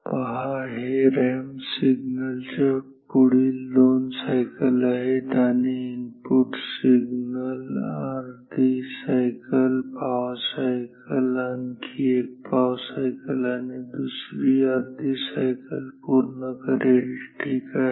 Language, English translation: Marathi, See, this is the next these are the next 2 cycles of the ramp signal and the input signal will complete half cycle, quarter cycle, another quarter cycle and another half cycle ok